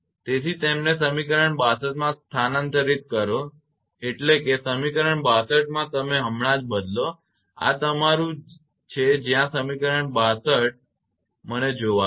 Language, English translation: Gujarati, Therefore substituting them into equation 62 that means, in equation 62 you just substitute right, this is your where equation 62 just let me see